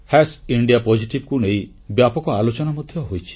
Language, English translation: Odia, indiapositive has been the subject of quite an extensive discussion